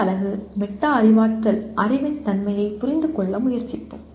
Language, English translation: Tamil, And the next unit, we will try to look at, understand the nature of metacognitive knowledge